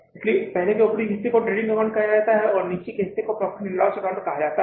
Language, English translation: Hindi, , first part, upper part is called as a trading and trading account and the lower part is called as the profit and loss account